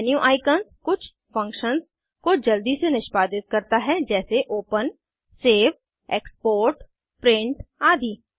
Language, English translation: Hindi, The menu icons execute certain functions quickly for eg open, save, export, print etc